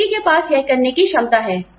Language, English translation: Hindi, The person has the capacity to do it